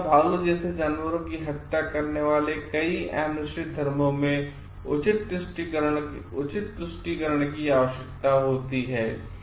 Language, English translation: Hindi, In an many animistic religions killing of animals like deer or bear requires proper appeasement